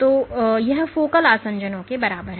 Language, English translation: Hindi, So, this is the equivalent of focal adhesions ok